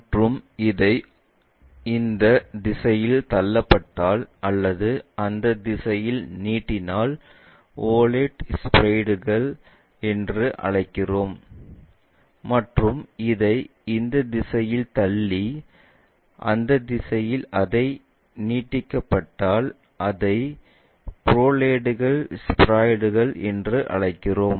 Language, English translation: Tamil, And, oblate you will have pushed in this direction elongates in that direction we call oblate spheroids, and if it is extended in that direction pushed in this direction we call that as prolates spheroids